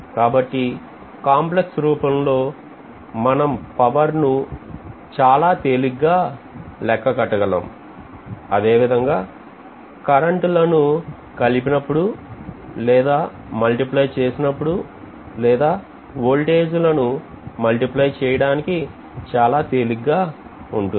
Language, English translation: Telugu, So complex notation gives us a very easy way for calculating power, calculating summation of currents or multiplication of currents, multiplication of voltages and so on